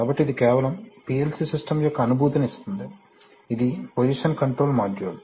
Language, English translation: Telugu, So this is just, you know give you a feel of the PLC system, this is what, this is a position control module